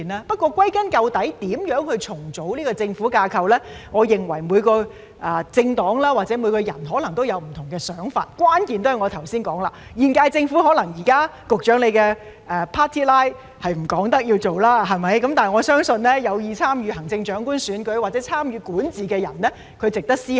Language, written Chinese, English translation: Cantonese, 不過，歸根究底，對於如何重組政府架構，我認為每個政黨或每個人可能有不同的想法，關鍵也是如我剛才所說，現屆政府可能現時......局長的 party line 不容許他說要做，但我相信這是有意參與行政長官選舉或參與管治的人值得思考的。, However at the end of the day I think that each political party or individual may have different ideas on how to reorganize the government structure and the key is that as I said just now probably at present the current - term Government The Secretarys party line does not allow him to declare to do so but I believe that it is worth a thought for those interested in running for the Chief Executive election or participating in governance